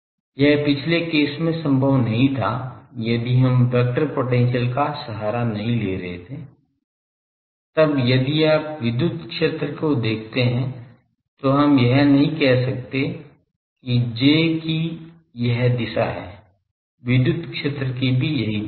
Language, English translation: Hindi, That was not possible in the earliest case, if we have not taken the help of vector potential; then if you look at the electric field we cannot say that J is this direction so electric field is also been this direction